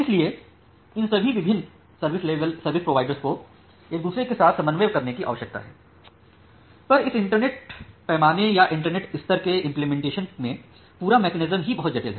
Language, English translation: Hindi, So all these different service providers they need to coordinate with each other and the entire mechanism is very much complicated for this internet scale or internet level implementation